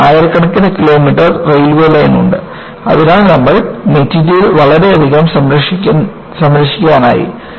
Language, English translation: Malayalam, And, you have several thousand kilometers of railway line, so, you have enormously saved the material